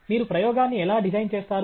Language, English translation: Telugu, How do you design the experiment